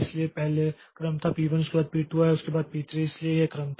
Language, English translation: Hindi, So, previously the order was p1 came first followed by p2 followed by p3